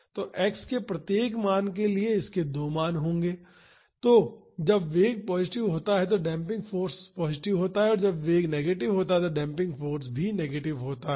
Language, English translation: Hindi, So, for each value of x this will have 2 values, when the velocity is positive the damping force is positive and when the velocity is negative the damping force is also negative